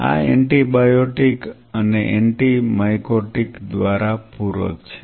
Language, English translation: Gujarati, This is supplemented by antibiotic and anti mycotic